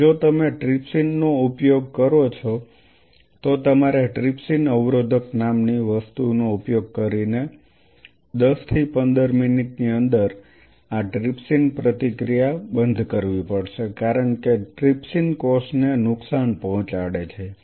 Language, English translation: Gujarati, And if you use trypsin then you have to stop this trypsin reaction within after 10 to 15 minutes using something called trypsin inhibitor because trypsin is going to damage the cell